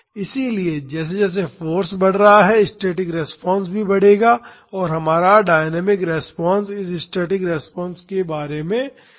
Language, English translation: Hindi, So, as the force is increasing the static response will also increase and our dynamic response will be an oscillation about this static response